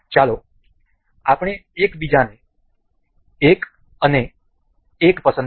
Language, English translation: Gujarati, Let us just select 1 and 1 to each other